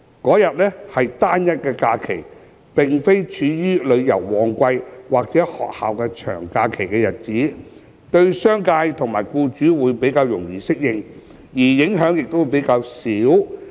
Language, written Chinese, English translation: Cantonese, 該日為單一假期，並非處於旅遊旺季或學校長假期的日子，對商界及僱主會較易適應，而影響亦較少。, As the Birthday of the Buddha is a stand - alone holiday that does not fall within the peak travel seasons nor long school holidays designating it as the first additional SH would be more manageable and less impactful for businesses and employers